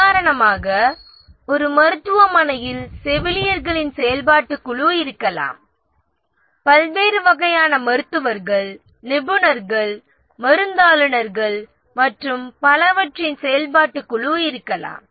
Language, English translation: Tamil, For example, in a hospital there may be a functional group of nurses, there may be a functional group of nurses, there may be functional group of various types of doctors, specialists, pharmacists and so on